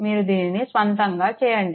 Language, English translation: Telugu, You please do it of your own